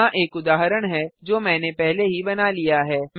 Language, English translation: Hindi, Here is an example that I have already created